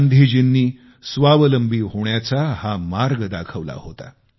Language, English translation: Marathi, This was the path shown by Gandhi ji towards self reliance